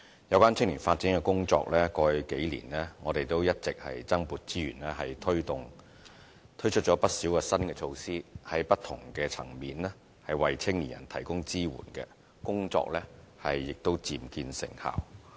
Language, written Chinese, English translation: Cantonese, 有關青年發展工作，過去數年我們一直增撥資源推動，推出了不少新的措施，在不同的層面為青年人提供支援，工作亦漸見成效。, We have all along allocated additional resources over the past few years for promoting youth development . With an array of new measures implemented for providing support to young people at different levels the work in this regard is also bearing fruit